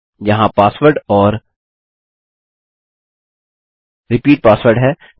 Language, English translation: Hindi, Here is the password and repeat password